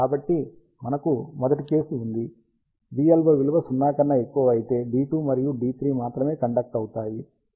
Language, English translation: Telugu, So, we have first case, v LO greater than 0, only D 2 and D 3 will be conducting